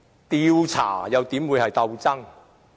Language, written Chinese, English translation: Cantonese, 調查又怎會是鬥爭？, How can an investigation be a political struggle?